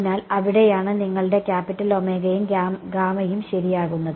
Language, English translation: Malayalam, So, that is where your capital omega and gamma come into play ok